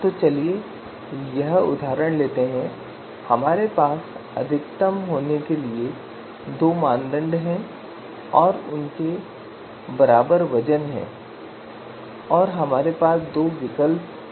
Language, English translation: Hindi, So let us take this example so we have two criteria to be maximized and they are having equivalent weights and we have two alternatives A and B